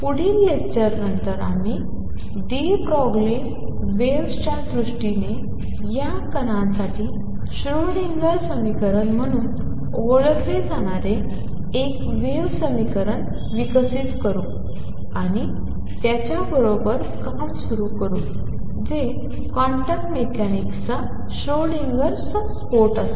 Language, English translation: Marathi, On next lecture onwards we will develop a wave equation known as the Schrödinger equation for these particles in terms of de Broglie waves, and start working with it that will be the Schrödinger explosion of quantum mechanics